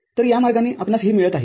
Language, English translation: Marathi, So, this is the way you are getting it